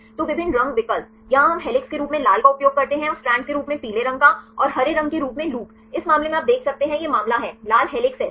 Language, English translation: Hindi, So, the different color options, here we use red as helix, and yellow as the strand and the green as loop right in this case you can see this is the case red is helix right